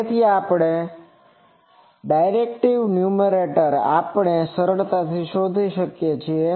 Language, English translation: Gujarati, So, directivities numerator, we can easily find out